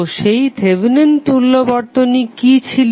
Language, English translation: Bengali, So, what was that Thevenin equivalent